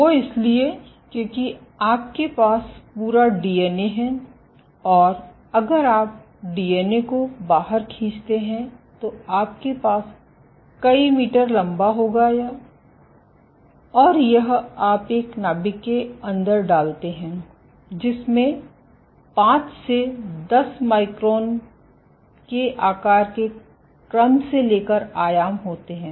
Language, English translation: Hindi, Thing is because you have the entire DNA if you stretch out the DNA, you would have meters long and this you put inside a nucleus, with dimensions ranging from order of 5 to 10 microns gain size